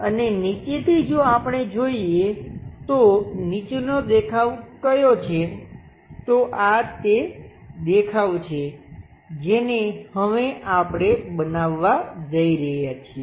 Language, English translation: Gujarati, And from bottom if we are looking what is that bottom view, these are the views what we are going to construct it now